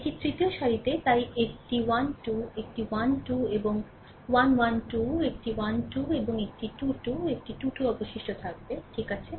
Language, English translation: Bengali, This is the third row ah so, a 1 2, a 1 3 and a 1 2, a 1 3 and a 2 2, a 2 3 will be remaining, right